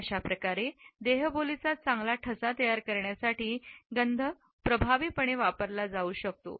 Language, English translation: Marathi, A smell can thus be used effectively to create a good non verbal impression